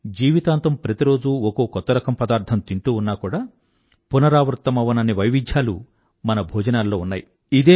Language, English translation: Telugu, If we eat a new dish every day, we won't have to repeat any variety throughout our life